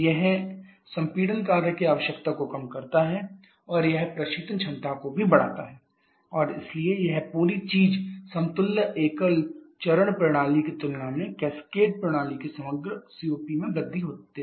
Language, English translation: Hindi, It reduces the compression work requirement and also it increases the refrigerant capacity and therefore this whole thing gives an increase in the overall COP of the cascaded system compared to the equivalent single phase system